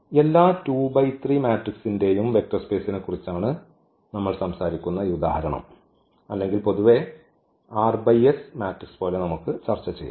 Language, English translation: Malayalam, This example where we are talking about the vector space of all 2 by 3 or in general also we can discuss like for r by s matrices